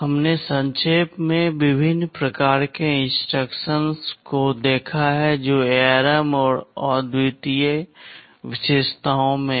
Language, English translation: Hindi, We have seen in a nutshell, the various kinds of instructions that are there in ARM and the unique features